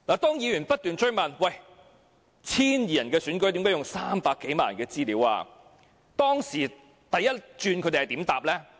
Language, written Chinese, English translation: Cantonese, 當議員不斷追問 ，1,200 人的選舉何故要用300多萬人的資料，初時他們如何回答呢？, When Members kept asking why the information of more than 3 million people was necessary for an election of 1 200 people how did they respond initially?